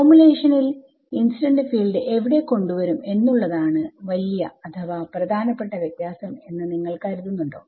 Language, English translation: Malayalam, So, do you think that this is the big difference or a significant difference where the incident field is being introduced into the formulation